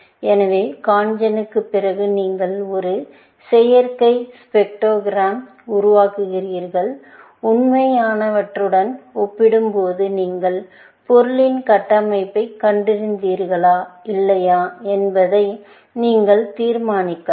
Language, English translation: Tamil, So, after CONGEN, you produce a synthetic spectrogram, compared with real and then, you can decide, whether you have found the structure of the material or not